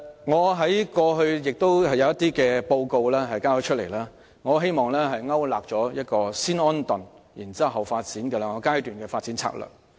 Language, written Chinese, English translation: Cantonese, 我以往曾提交一些報告，希望勾勒出一項包含"先安頓，後發展"兩個階段的發展策略。, I have submitted some reports before in the hope of outlining a two - phase strategy for development by settling the system first and pursuing development as the next step